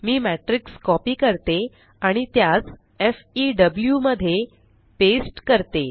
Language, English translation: Marathi, Let me copy the matrix and paste it in FEW